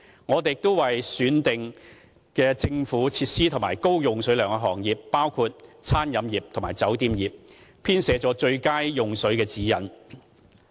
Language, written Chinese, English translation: Cantonese, 我們亦已為選定的政府設施及高用水量的行業，包括餐飲業及酒店業，編寫了最佳用水指引。, We have also developed best water - using guidelines for selected government facilities and trades with high water consumption such as catering and hotels